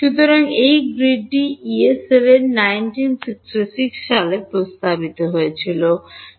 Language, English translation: Bengali, So, this grid was what was proposed by Yee in 1966